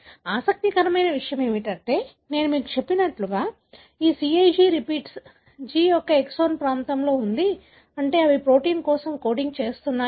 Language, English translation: Telugu, What is interesting is that, as I told you, this CAG repeat is present in the exonic region of the G, meaning they are coding for a protein